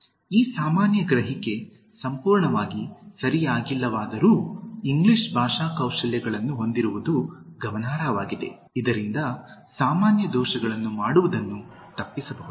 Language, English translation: Kannada, Although, this common perception is not fully correct, it is significant to possess English Language Skills to the extent, one avoids committing the Common Errors